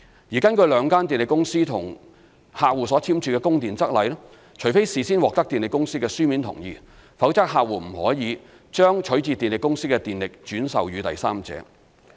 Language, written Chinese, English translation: Cantonese, 而根據兩間電力公司與客戶所簽署的《供電則例》，除非事先獲得電力公司的書面同意，否則客戶不得把取自電力公司的電力轉售予第三者。, According to the Supply Rules signed between the two power companies and their customers customers may not resell electricity obtained from the power companies to a third party without prior written consent of the power companies